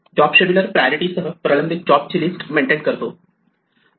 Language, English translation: Marathi, Job scheduler maintains a list of pending jobs with priorities